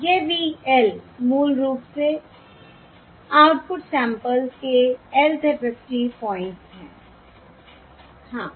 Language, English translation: Hindi, Where this is Y, L are basically the Lth FFT points of the output samples